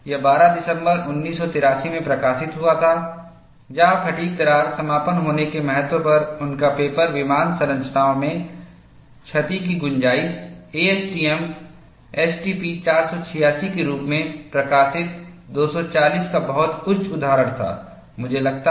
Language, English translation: Hindi, This says, this weeks citation classic, it was published in December 12, 1983, where his paper on the significance of fatigue crack closure damage tolerance in aircraft structures, published as A S T M S T P 486, had a very high citation of 240, I think